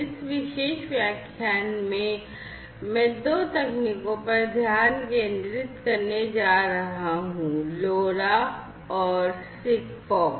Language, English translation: Hindi, So, in this particular lecture I am going to focus on two technologies; LoRa and SIGFOX